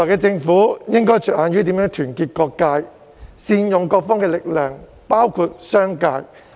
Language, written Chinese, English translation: Cantonese, 政府未來應着眼於如何團結各界及善用各方的力量，包括商界。, Going forward the Government should focus on how to unite all sectors and leverage the strengths of all parties including the business community